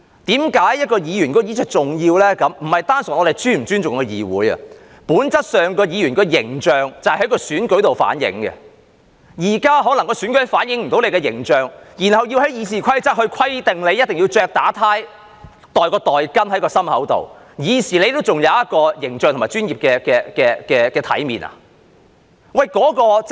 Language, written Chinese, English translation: Cantonese, 問題不單純在於我們是否尊重議會，本質上，議員的形象可以從選舉上反映，但現在選舉可能無法反映議員的形象，於是要從《議事規則》規定議員一定要打領帶或放袋巾在胸前，以示議員還有形象和專業的體面，是這樣嗎？, It is not purely an issue about whether we respect the legislature or not . In essence the image of a Member can be reflected in the election but now the election may not be able to reflect the image of a Member . As such the Rules of Procedure requires that a Member must wear a tie or put a pocket square in the breast pocket to show that the Member still has an image and a professional appearance is that right?